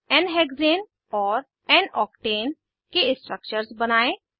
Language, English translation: Hindi, Draw structures of n hexane and n octane 2